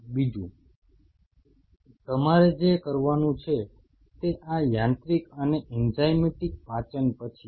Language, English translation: Gujarati, Second what you have to do is followed by that after this mechanical and enzymatic digestion